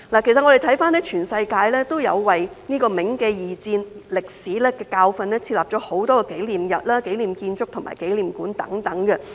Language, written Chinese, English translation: Cantonese, 其實，全世界也有為銘記二戰歷史的教訓設立很多紀念日、紀念建築和紀念館等。, In fact there are many memorial days memorial buildings and memorial halls around the world to remember the lessons of World War II